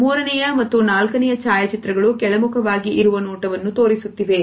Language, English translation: Kannada, The third and the fourth photographs depict the gaze which is downwards